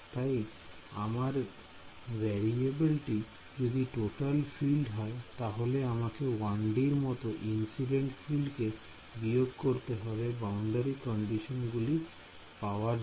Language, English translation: Bengali, So, if my variable is total field like we are done in the case of 1D I have to subtract of the incident field and then impose the boundary condition right